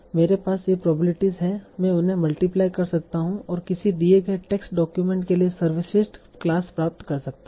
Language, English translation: Hindi, So I have these probabilities, I can multiply these and get the best class for a given test document